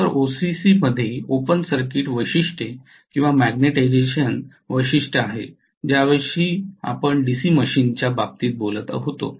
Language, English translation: Marathi, So in OCC that is the open circuit characteristics or magnetization characteristics what we talked about in the case of DC machine